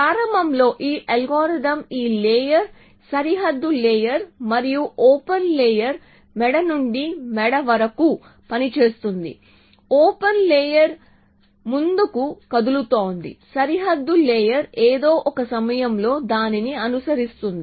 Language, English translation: Telugu, So, initially this algorithm is working with this layer boundary layer and the open layer going neck to neck open layer is moving forward the boundary layer is just following it at some point